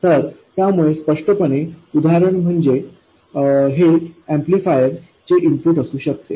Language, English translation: Marathi, So, the obvious example is it could be the input of the amplifier